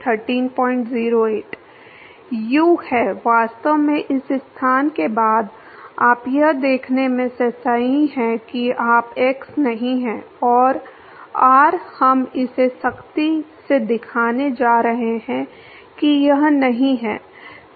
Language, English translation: Hindi, u is, well actually at after this location you correct in observing that u is not x and r we are going to show that rigorously that it is not